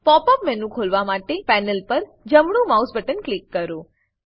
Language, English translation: Gujarati, To open the Pop up menu, right click the mouse button on the panel